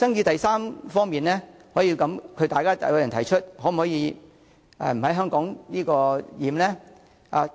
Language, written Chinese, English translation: Cantonese, 第三方面的爭議是，有人提出可否不在"香港檢"？, The third dispute concerns the suggestion of not completing immigration and custom clearance procedures in Hong Kong